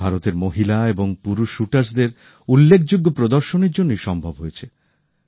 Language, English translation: Bengali, This was possible because of the fabulous display by Indian women and men shooters